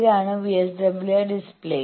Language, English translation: Malayalam, This is the VSWR meter display